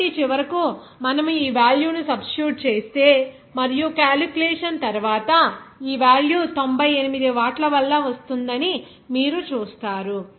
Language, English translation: Telugu, So, finally if you substitute this value and after calculation, you will see that value will be coming as ninety eight watt